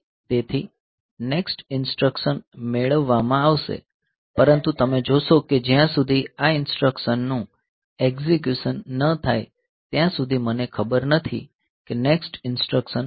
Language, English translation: Gujarati, So, the pre the next instruction will be fetched, but you see that until and unless these instructions execution is over I do not know whether the next instruction is this one or the next instruction is this one